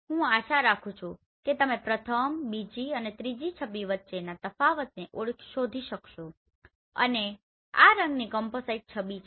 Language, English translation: Gujarati, I hope you can easily find out the differences between the first, second and third image and this is the color composite image right